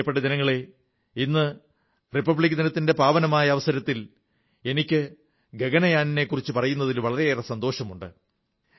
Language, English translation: Malayalam, My dear countrymen, on the solemn occasion of Republic Day, it gives me great joy to tell you about 'Gaganyaan'